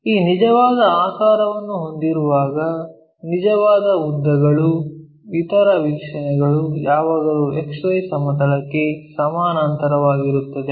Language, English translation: Kannada, Whenever we have this true shape, true lengths other views always be parallel to XY plane